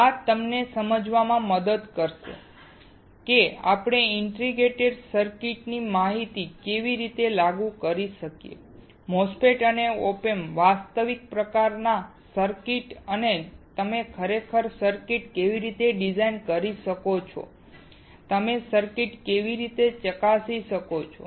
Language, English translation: Gujarati, This will help you to understand how we can apply the knowledge of integrated circuits: MOSFETs and op amps into actual kind of circuits and how you can really design the circuits, and how you can check the circuits